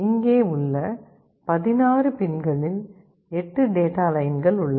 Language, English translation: Tamil, Here, among the 16 pins, 8 of them are data lines